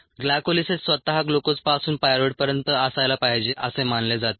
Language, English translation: Marathi, the glycolysis itself is suppose to be from glucose to pyruvate